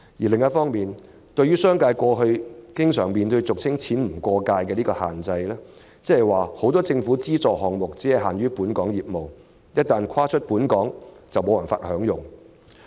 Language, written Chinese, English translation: Cantonese, 另一方面，對於商界過去經常面對俗稱"錢不過界"的規限，即是說政府很多資助項目只適用於本港業務，海外業務無法受惠。, Moreover the business sector has often been confronted with the so - called money cannot cross the border restriction . This means that many government subsidies are applicable only to local business with overseas business being left out